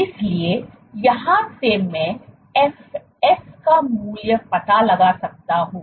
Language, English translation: Hindi, So, from here I can find out the value of fs